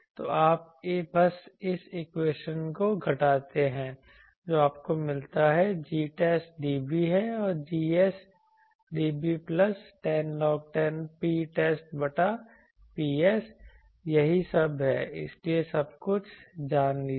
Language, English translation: Hindi, So, you just subtract this equation what you get is G test dB is Gs dB plus 10 log 10 P test by Ps that is all so know everything